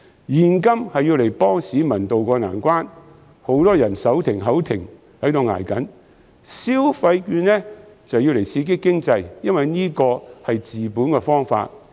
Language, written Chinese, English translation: Cantonese, 現金是用來幫助市民渡過難關的，因為很多人手停口停，一直在"捱"；消費券則是用來刺激經濟，因為這是治本的方法。, Therefore this year I suggest that both cash and consumption vouchers should be handed out to help people tide over the difficulties . Many people can barely make ends meet and are having a tough time . The consumption vouchers can be used to stimulate the economy and it is a way to tackle the problem at root